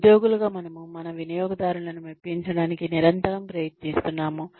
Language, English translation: Telugu, As employees, we are constantly trying to please our customers